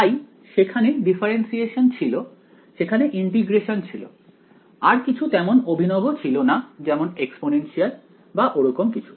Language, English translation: Bengali, So, there was only there is differentiation there is integration, there is nothing more fancy like exponential or something like that right